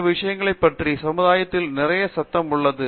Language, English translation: Tamil, So, there is a lot of buzz in the society about these things